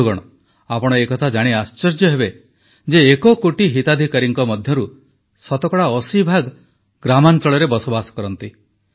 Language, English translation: Odia, you will be surprised to know that 80 percent of the one crore beneficiaries hail from the rural areas of the nation